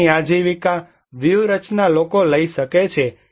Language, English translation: Gujarati, Here are the livelihood strategies people can take